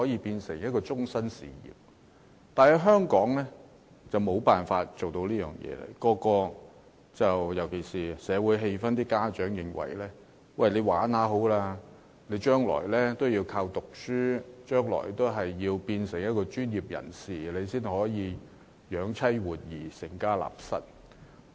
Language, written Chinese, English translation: Cantonese, 但是，在香港則無法做到這一點，尤其是社會氣氛方面，家長認為年輕人進行體育運動，玩玩就好，將來還是要藉讀書成為專業人士，那樣才可養妻活兒，成家立室。, Notwithstanding this is not going to happen in Hong Kong especially when we consider the social atmosphere . Parents think that young people should only do sports for fun and leisure as ultimately they will have to study to be professionals so that they can set up home and raise a family